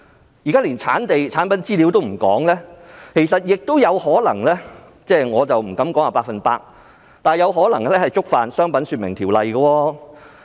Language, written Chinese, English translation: Cantonese, 現時更是連生產地和產品資料也欠奉，其實它有可能——我不敢說是 100%—— 觸犯了《商品說明條例》。, At present we do not even have the information on the place of manufacturing and the materials of the product . In fact the Trade Descriptions Ordinance may be―I dare not say for sure―contravened